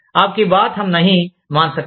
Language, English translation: Telugu, AAP KI BAT HUM NAHI MAAN SAKTE